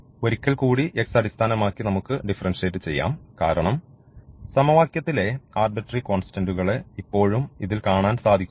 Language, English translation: Malayalam, So, we have differentiated with respect to x only once and now we have to differentiate this once again because, we do see here to arbitrary constants in the equation